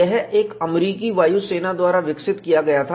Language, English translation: Hindi, And this is developed by Air force personnel